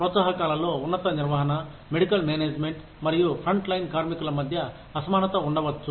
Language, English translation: Telugu, There could be disparity in incentives, between top management, middle management, and frontline workers